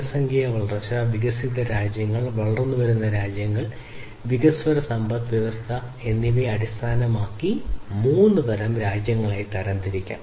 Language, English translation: Malayalam, There are three different types of countries based on the population growth, developed countries then emerging countries, emerging economies, basically, and developing economies